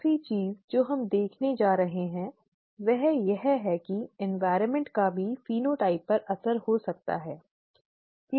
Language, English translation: Hindi, The last thing that we are going to see is that even the environment could have an impact on the phenotype, okay